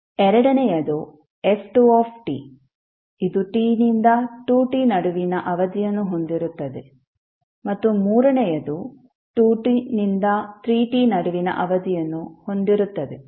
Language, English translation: Kannada, Second is f to 2 t which is has a period between t to 2t and third is having the period between 2t to 3t